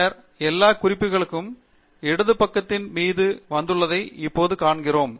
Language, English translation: Tamil, And then, we now see all the references have come on the left hand side pane